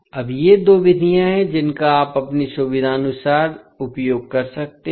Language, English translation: Hindi, So, now these are the two methods you can use either of them based on your convenience